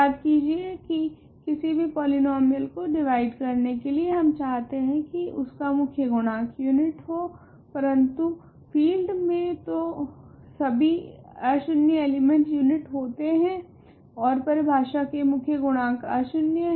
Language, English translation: Hindi, Remember though that to divide polynomials we, to divide by a polynomial f, we need that the leading coefficient of f must be a unit, but in a field every non zero element is a unit and leading coefficient is by definition non zero